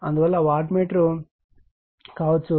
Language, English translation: Telugu, So, that; that means, the wattmeter can be